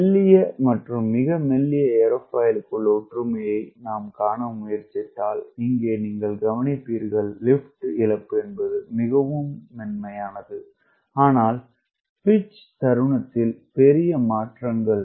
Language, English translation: Tamil, if i try to um see the similarity between what we talking about, thinner and very thin airfoil, here you will absorb loss of lift is smooth, but large changes in pitching moment